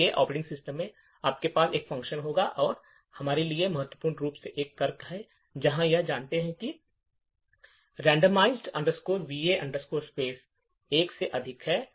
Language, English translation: Hindi, So, in the operating system you would have a function like this and importantly for us there is a condition, where we check whether this randomize va space is greater than one